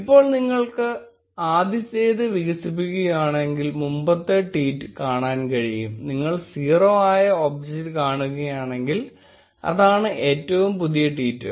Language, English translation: Malayalam, Now if you expand the first one, you can see the previous tweet; and if you see the 0th object that is the latest tweet